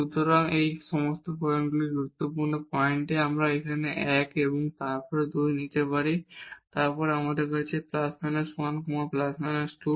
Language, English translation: Bengali, So, these are the critical points now here we can take one and then 2 then we have minus 1 2 or we have the plus 1 minus 2 and